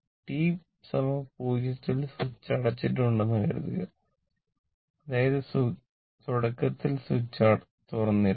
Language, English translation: Malayalam, Suppose, it is given that switch is that the switch is closed at t is equal to 0; that means, initially switch was open